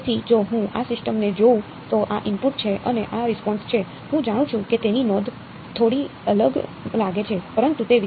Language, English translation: Gujarati, So, if I look at this system, so, this is the input and this is the response, I know that the notation looks a little different ok, but its